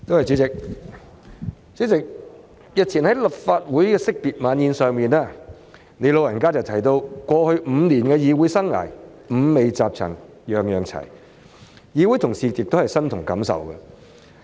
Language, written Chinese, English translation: Cantonese, 主席，日前在立法會惜別晚宴上，你"老人家"提到過去5年的議會生涯，"五味雜陳樣樣齊"，議會同事亦感同身受。, President at the End - of - term Dinner of the Legislative Council held a couple of days ago you said that the tenure of office of these five years in the legislature has left you with very mixed feelings which are also shared by fellow colleagues